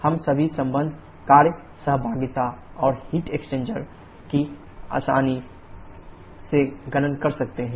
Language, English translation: Hindi, We can easily calculate all the associated work interaction and heat interaction